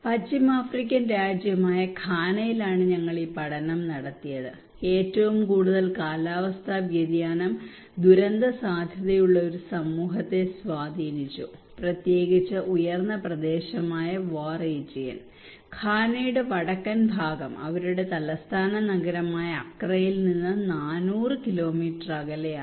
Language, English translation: Malayalam, We conducted this study in Ghana a West African country and one of the most climate change impacted a disaster prone community particularly the upper region, Wa region, the northern part of Ghana is around four hundred kilometre from the Accra their capital city and is one of the poorest region of this country